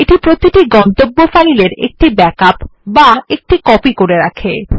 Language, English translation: Bengali, This makes a backup of each exiting destination file